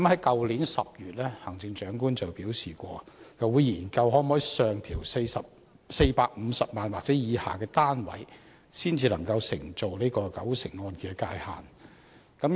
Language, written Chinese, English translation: Cantonese, 去年10月，行政長官表示會研究能否上調450萬元或以下單位才能承做九成按揭的界線。, In October last year the Chief Executive said that studies would be conducted on whether the maximum property price of 4,500,000 at which mortgage loans of 90 % LTV ratio were available could be adjusted upward